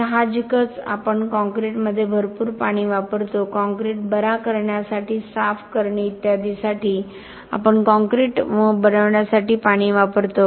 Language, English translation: Marathi, Obviously, we use a lot of water in concrete we use water to make the concrete to cure the concrete, clean up and so on